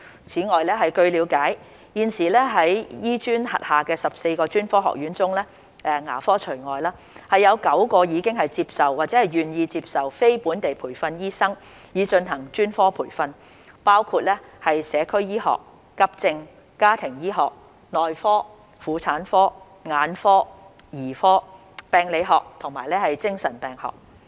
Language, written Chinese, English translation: Cantonese, 此外，據了解，現時在醫專轄下的14個專科學院中，有9個已接受或願意接受非本地培訓醫生以進行專科培訓，包括社區醫學、急症、家庭醫學、內科、婦產科、眼科、兒科、病理學和精神病學。, Besides we understand that nine of the 14 Colleges under HKAM have accepted or are willing to accept NLTDs for specialist training . These colleges are Colleges of Community Medicine Emergency Medicine Family Physicians Physicians Obstetricians and Gynaecologists Ophthalmologists Paediatricians Pathologists and Psychiatrists